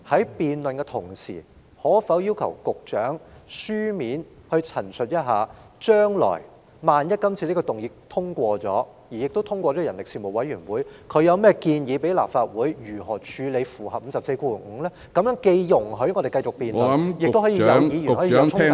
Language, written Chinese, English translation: Cantonese, 主席，在進行辯論的同時，可否要求局長以書面陳述，若這項議案獲得通過，而《條例草案》亦交付人力事務委員會討論後，他會向立法會提出甚麼建議安排，以符合《議事規則》第545條的規定呢？, President in the course of the debate is it possible to ask the Secretary to state in writing what arrangements he will recommend to the Legislative Council after the motion is passed if at all and the Bill is referred to the Panel on Manpower for discussion in order to meet the requirements of RoP 545?